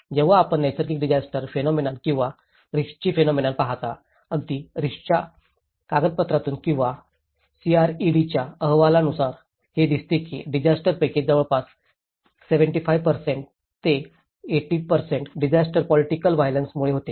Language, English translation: Marathi, When you look at the natural disasters phenomenon or the risk phenomenon, even from the document of at risk or the CRED reports, it says almost more than 75% to 80% of the disasters are through the political violence